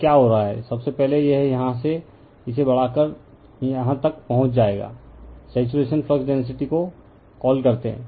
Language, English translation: Hindi, So, what is happening, first it is we are from here, we have increasing the it will reach to the saturation, we call saturation flux density